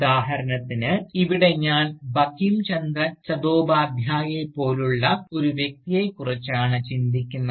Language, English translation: Malayalam, And, here for instance, I am thinking of a figure like Bankim Chandra Chattopadhyay